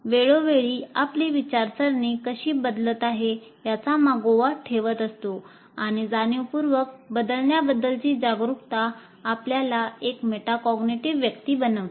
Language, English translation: Marathi, And this awareness of the changing with over time in a conscious way is makes you a metacognitive person